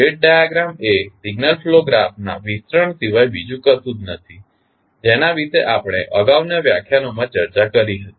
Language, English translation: Gujarati, State diagram is nothing but the extension of the signal flow graph which we discussed in previous lectures